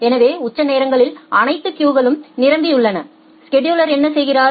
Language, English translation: Tamil, So, in the peak hours all the queues are full and what the scheduler is doing